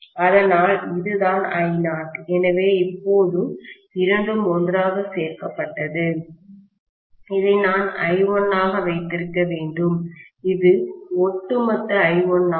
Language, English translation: Tamil, So, this is I naught, so now both of them added together, I should have this as I1, this is the overall I1